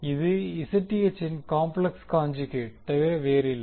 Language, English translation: Tamil, This is nothing but the complex conjugate of Zth